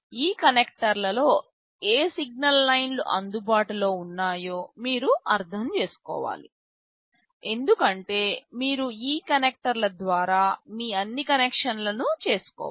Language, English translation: Telugu, You must understand what signal lines are available over these connectors, because you will have to make all your connections through these connectors